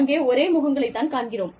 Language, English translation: Tamil, We see the same faces